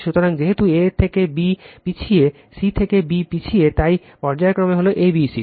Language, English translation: Bengali, So, because b lags from a, c lags from b, so phase sequence is a b c right